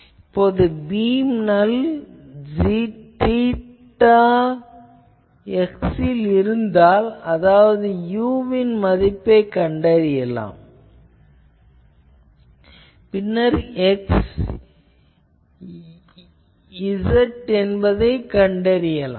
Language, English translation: Tamil, If the beam null is placed at theta z, then the corresponding value of u you can find and then x z you can find